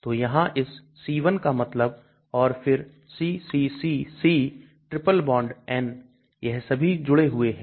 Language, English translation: Hindi, So this c1 means here and then ccccC triple bond N they are all connected